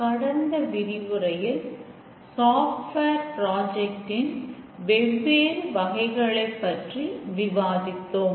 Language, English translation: Tamil, We were saying that there are two main types of software projects